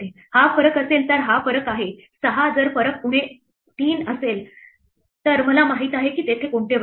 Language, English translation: Marathi, This is the difference if the difference is say 6 I know which squares are there if the difference is minus 3